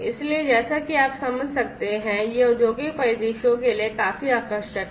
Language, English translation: Hindi, So, as you can understand that this is quite attractive for industrial scenarios